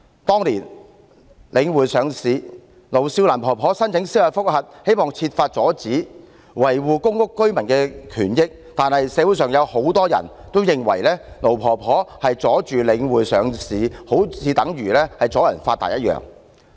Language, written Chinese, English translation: Cantonese, 當年領匯上市，盧少蘭婆婆申請司法覆核，希望設法阻止，維護公屋居民的權益，但是，社會上有很多人認為盧婆婆妨礙領匯上市，如同"阻人發達"。, Back then when Link REIT was being listed an elderly lady called LO Siu - lan applied for a judicial review in the hope of preventing this from happening and defending the interests of public housing residents . However many people in the community thought that Ms LO in hindering The Link REIT from being listed was preventing people from getting rich